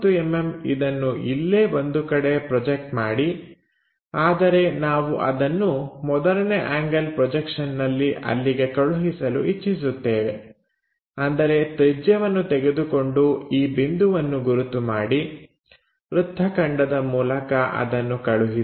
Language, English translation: Kannada, So, 30 mm project somewhere there, but we want to transfer that in the first angle projection; that means, take radius mark this point transfer it by arc